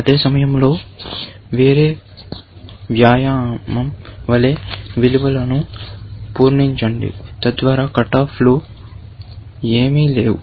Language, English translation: Telugu, At the same time, as a different exercise, fill in the values, so that, there are no cut offs at all